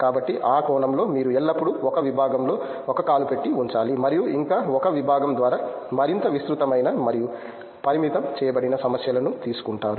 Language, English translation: Telugu, So, in that sense you can always have one foot in one department and still you know seek problems which are more broad based and constrained by that one department